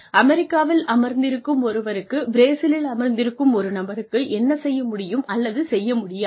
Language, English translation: Tamil, Can a person sitting in the United States know, what a person sitting in Brazil, will be able to do or not